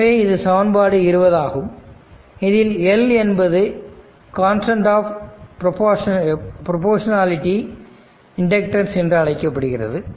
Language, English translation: Tamil, Say this is equation 20 where L is constant of proportionality called inductance this you know right